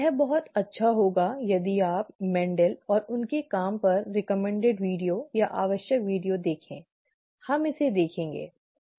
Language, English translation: Hindi, It will be very nice if you can see the recommended video or the required video on Mendel and his work, we will see that, okay